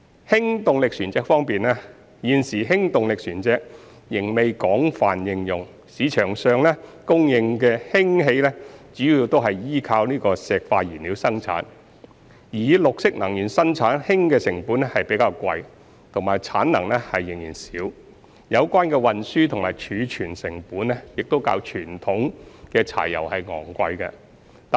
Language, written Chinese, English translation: Cantonese, 氫動力船隻方面，現時氫動力船隻仍未廣泛應用，市場上供應的氫氣主要是倚靠化石燃料生產，而以綠色能源生產氫的成本較貴及產能仍少，有關的運輸及儲存成本亦較傳統柴油昂貴。, At present hydrogen - powered vessels are not widely used . The hydrogen supplied in the market is mainly produced from fossil fuels . The cost of producing hydrogen from green energy sources is relatively high while the production capacity is still small